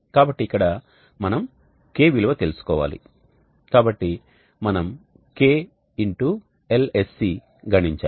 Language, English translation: Telugu, So now here we need to know K so let us compute klsc and we need to know